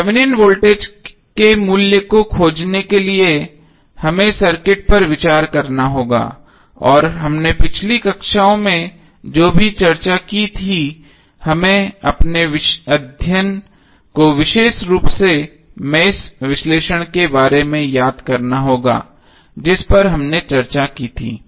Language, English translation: Hindi, To find the value of Thevenin voltage we have to consider the circuit and whatever we discussed in previous classes we have to just recollect our study specially the mesh analysis which we discussed